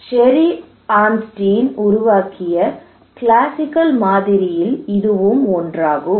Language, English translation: Tamil, This is one of the classical model developed by Sherry Arnstein